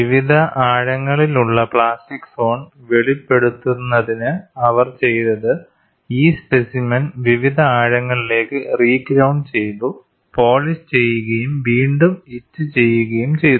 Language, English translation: Malayalam, And what they had done was to reveal plastic zone at various depths, the specimen is reground to various depths, polished and re etched